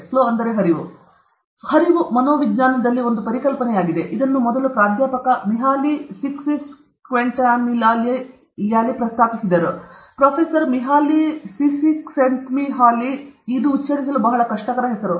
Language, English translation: Kannada, Flow is a concept in psychology; this was first proposed by Professor Mihaly Csikszentmihalyi; Professor Mihaly Csikszentmihalyi very difficult name to pronounce